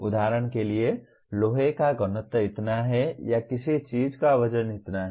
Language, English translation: Hindi, For example the density of iron is so much or the weight of something is so much